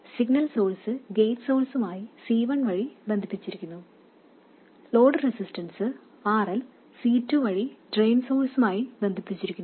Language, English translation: Malayalam, And the signal source is connected to the gate source via C1, the load resistance RL is connected to the drain source via C2